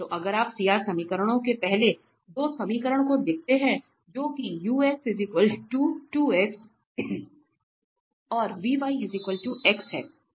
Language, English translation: Hindi, So again, the CR equations we can observe that ux is equal to vy